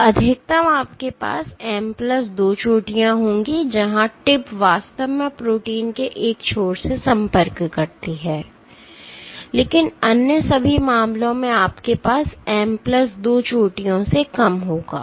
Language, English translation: Hindi, So, at max you will have M plus 2 peaks, where the tip actually contacts the one end of the protein, but in all other cases you will have less than M plus 2 peaks